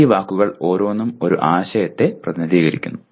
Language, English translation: Malayalam, Each one of those words represents a concept